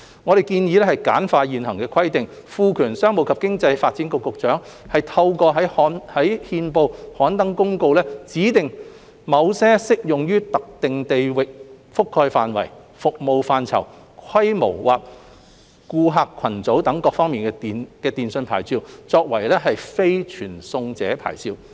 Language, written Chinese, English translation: Cantonese, 我們建議簡化現行規定，賦權商務及經濟發展局局長透過在憲報刊登公告，指定某些適用於特定地域覆蓋範圍、服務範疇、規模或顧客群組等各方面的電訊牌照為非傳送者牌照。, We propose to simplify the existing requirements by empowering the Secretary for Commerce and Economic Development to specify by notice published in the Gazette certain telecommunications licences with designated geographical coverage scope scale or customer base of the service as non - carrier licences